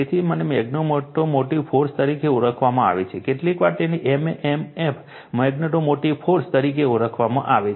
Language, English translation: Gujarati, So, this is known as magnetomotive force, sometimes we call it is m m f right, so magnetomotive force